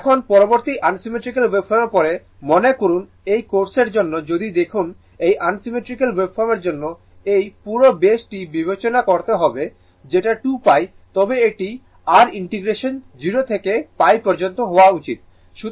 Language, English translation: Bengali, Now, next actually after unsymmetrical waveform suppose this for this case for this case if you look into this for unsymmetrical waveform you have to consider that whole base 2 pi right, but this is your integration should be 0 to pi